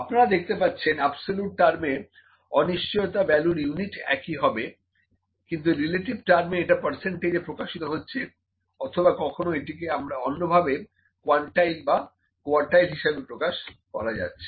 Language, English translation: Bengali, So, you can see in absolute terms, the uncertainty is in the same units in relative terms it is percentage or it might be some other quantile or quartile of this something like that, ok